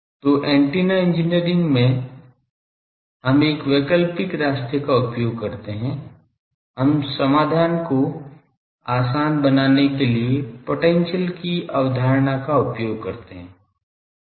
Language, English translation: Hindi, So, in antenna engineering we uses alternative route, we use the concept of potentials to simplify the solution